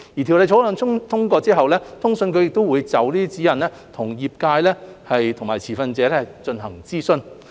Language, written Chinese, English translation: Cantonese, 《條例草案》通過後，通訊局會就指引與相關業界和持份者進行諮詢。, Following the passage of the Bill CA will consult the sector and stakeholders about the guidelines